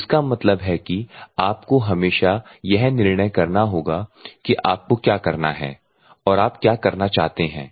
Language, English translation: Hindi, So, that means, that you have to always decide what you have to do or what you want to do